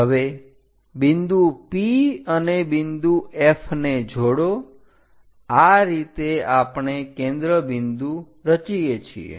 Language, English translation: Gujarati, Now join P point and F point; this is the way we construct focus